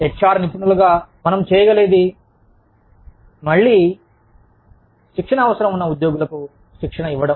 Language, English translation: Telugu, As, HR professionals, what we can do is, again, train employees, who need training